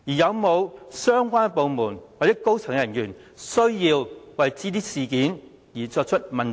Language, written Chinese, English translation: Cantonese, 有沒有相關部門或高層人員需要為這些事件問責？, Should any relevant departments or senior staff be held accountable for such incidents?